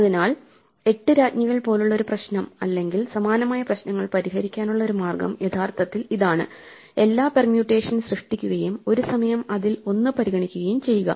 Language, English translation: Malayalam, So, one way of solving a problem like 8 queens or similar problems is actually it generate all permutations and keep trying them one at a time